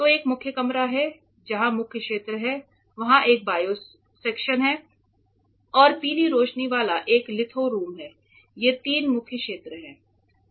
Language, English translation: Hindi, So, there is a main room which is where main area this is where I am standing right now, there is a bio section which we will see shortly and there is a litho room with yellow light which also we will see shortly, these are the three main areas ok